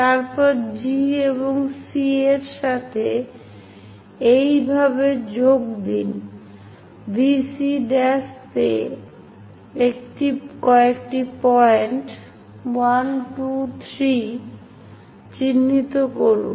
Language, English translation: Bengali, Then, join G and C in that way then, mark few points 1, 2, 3 on VC prime